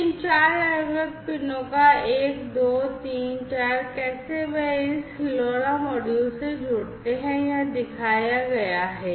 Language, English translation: Hindi, So, these four different PIN’s 1 2 3 4 how they connect to this LoRa module is shown over here, right